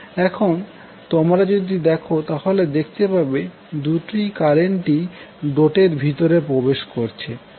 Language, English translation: Bengali, So if you see these two currents, both are going inside the dot